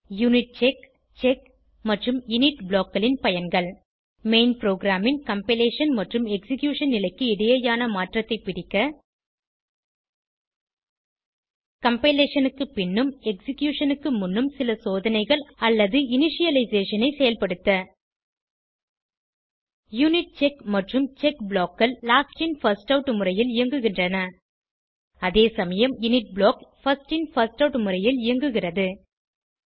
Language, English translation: Tamil, UNITCHECK, CHECK and INIT blocks are useful to catch the transition between compilation and execution phase of the main program and to perform some checks or initialisation, after compilation and before execution UNITCHECK and CHECK blocks runs in Last in First out manner whereas INIT block runs in First In First Out manner